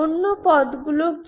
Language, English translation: Bengali, What are the other terms